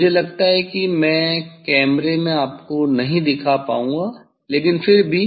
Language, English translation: Hindi, I think in camera I will not be able to show you but, anyway